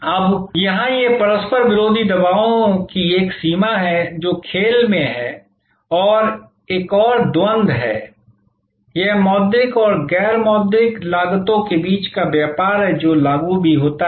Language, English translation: Hindi, Now, here this is one range of conflicting pressures, which are at play and this is another duality, this a trade of between monitory and non monitory costs, which is also apply